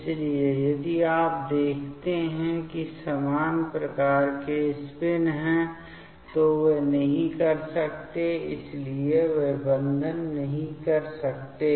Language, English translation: Hindi, So, they cannot if you see they are similar type of spin, so they cannot make bond